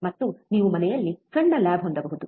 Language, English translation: Kannada, aAnd you can have a small lab at home